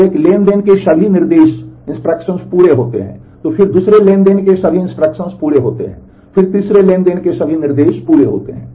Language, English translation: Hindi, So, all instructions of one transaction complete, then all instructions of the second transaction complete, then all instructions of the third transaction complete and so on